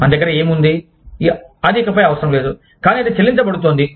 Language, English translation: Telugu, What do we have, that is no longer required, but that is being paid for